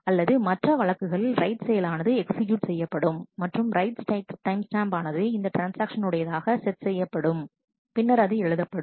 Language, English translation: Tamil, Otherwise, in other cases, the write operation is executed and the write timestamp will be set to the timestamp of this transaction which has written it